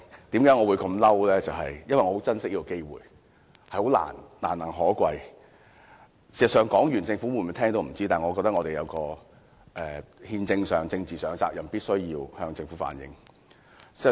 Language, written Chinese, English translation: Cantonese, 事實上，發言完畢後，政府是否聽得到，我們也不知道，但我認為我們在憲政上、政治上有責任，必須向政府反映意見。, Honestly we just do not know whether the Government can really hear our voices after we have finished speaking . But I must still say that constitutionally and politically we as Members are duty - bound to reflect peoples views to the Government